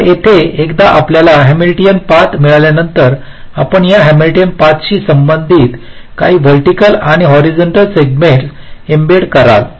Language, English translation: Marathi, so, once you got a hamiltionian path, you embed some horizontal and vertical segments corresponding to this hamilionian path